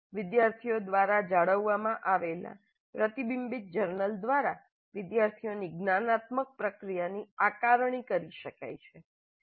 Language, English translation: Gujarati, The metacognitive processing of the students can be assessed through reflective journals maintained by the students